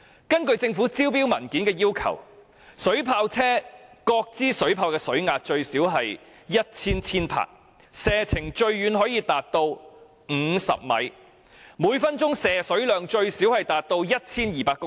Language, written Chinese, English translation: Cantonese, 根據政府招標文件所載列的要求，水炮車各支水炮的水壓最少有 1,000 千帕，射程最遠可達50米，每分鐘的射水量最少 1,200 公升。, According to the specification requirements printed in the Governments tender documents the water pressure released by each water cannon of the water cannon vehicles should at least reach 1 000 kPa the farthest shooting range should reach 50 m and the volume of water discharge per minute should at least be 1 200 litres